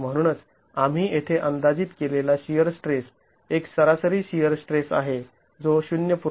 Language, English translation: Marathi, And therefore the shear stress that we have estimated here is an average shear stress which is of the order of 0